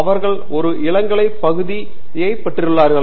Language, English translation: Tamil, They would take an undergraduate core area